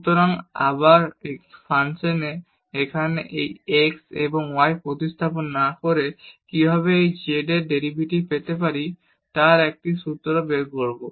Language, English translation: Bengali, So, we will derive a formula how to get the derivative of this z without substituting this x and y here in this function